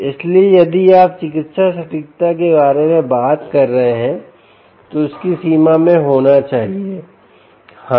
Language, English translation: Hindi, so if you are talking about medical accuracy, it has to be ah, um, ah, um in the range of um